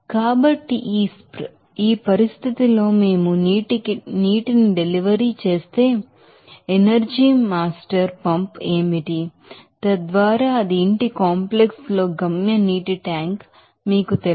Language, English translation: Telugu, So, at this condition what are we the energy master pump delivered to the water so, that it will reach to that you know destination water tank there in the house complex